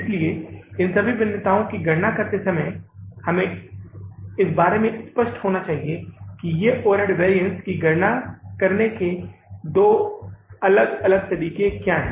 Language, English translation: Hindi, So, while calculating these variances we must be clear about what are these, say, two different ways to calculate the overhead variances